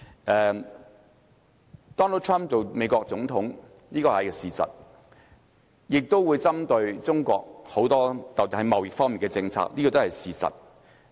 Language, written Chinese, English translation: Cantonese, Donald TRUMP 成為美國總統，這個是事實，他亦會重點針對中國，特別是在貿易政策方面，這個也是事實。, Donald TRUMP has become the President of the United States of America . This is a fact . Moreover he will target China especially in the area of trade policy